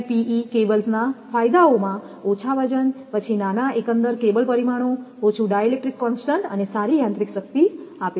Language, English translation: Gujarati, So, XLPE cables possess the advantages of light weight, then small overall cable dimensions, low di electric constant and good mechanical strength